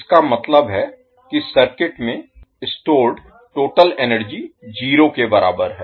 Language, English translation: Hindi, That means the total energy stored in the circuit is equal to 0